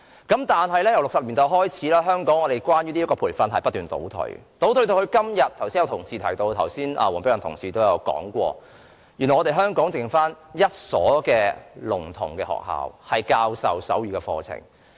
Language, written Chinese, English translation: Cantonese, 不過，由1960年代開始，這項培訓卻不斷倒退，正如黃碧雲議員剛才提到，香港時至今天原來只餘下一所聾童學校教授手語課程。, But such training has regressed since the 1960s . As mentioned by Dr Helena WONG just now only one school for deaf children remains to offer sign language courses in Hong Kong today